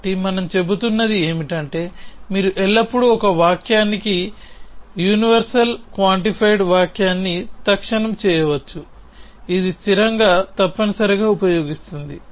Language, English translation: Telugu, So, what we are saying is that you can always instantiate a universally quantified sentence to a sentence, which uses the constant essentially